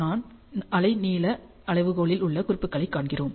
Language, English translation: Tamil, And we see the marking on the wavelengths scale